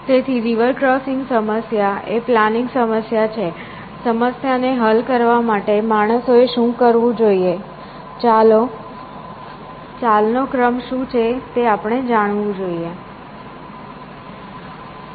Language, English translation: Gujarati, So, the river crossing problem is the planning problem, we want to know, what are the sequence of moves the man must do, to solve the problem